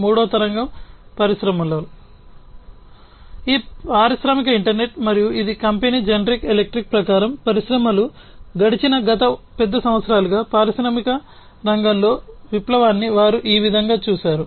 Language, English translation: Telugu, And the third wave, in the industries is this industrial internet and this is as per the company general electric, this is how they have visualized the revolution in the industrial sector over the last large number of years that industries have passed through